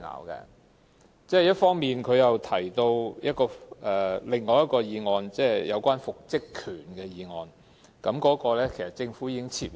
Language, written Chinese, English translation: Cantonese, 同時，議員提到另一項有關復職權的法案，但該項法案其實已被政府撤回。, Meanwhile a Member mentioned another Bill which is on the right to reinstatement but that Bill had actually been withdrawn by the Government